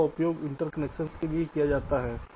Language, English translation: Hindi, they are used for interconnection